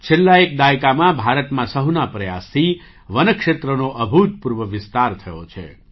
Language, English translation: Gujarati, During the last decade, through collective efforts, there has been an unprecedented expansion of forest area in India